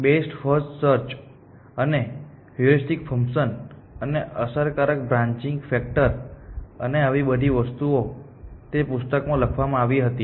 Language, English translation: Gujarati, The best first search and heuristic functions and effective branching factor and all this kind of stuff was written in that book essentially